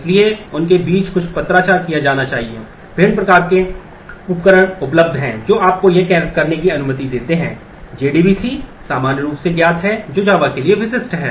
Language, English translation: Hindi, There are a variety of tools available which allow you to do this JDBC is common very commonly known which is specific for java